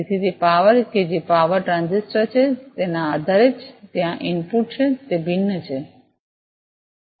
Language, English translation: Gujarati, So, depending on that the power that is the power transistor, which is there the input to that is varying